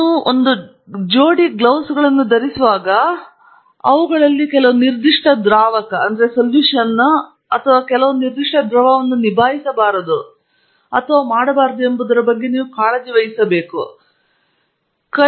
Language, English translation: Kannada, May be the only thing you have to be concerned about when you wear a pair of gloves is that some of them may or may not handle a particular solvent or particular form of liquid